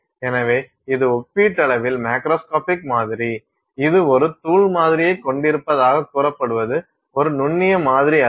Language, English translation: Tamil, So, that is also relatively macroscopic sample, it is not a microscopic sample as supposed to say having a powder sample